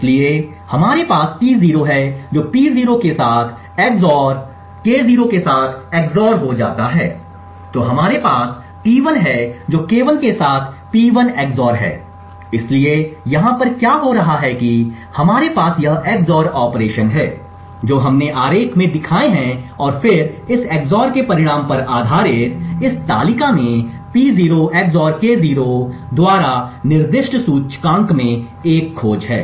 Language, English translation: Hindi, So we have T0 which gets XOR with P0 XOR with K0 then we have similarly T1 which is P1 XOR with K1 so what is happening over here is that we have this XOR operations which we have shown in the diagram and then there is based on the result of this XOR there is a lookup in this table at an index specified by P0 XOR K0